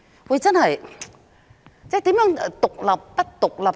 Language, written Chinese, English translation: Cantonese, 說真的，何謂獨立或不獨立呢？, To be honest what does it mean by independent or non - independent?